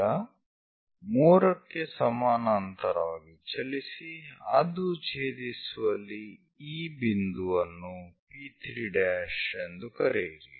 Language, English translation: Kannada, Now move parallel to 3 it intersects here call that point P3 prime